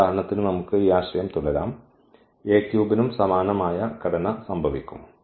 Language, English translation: Malayalam, We can continue this idea for example, A 3 also the same similar structure will happen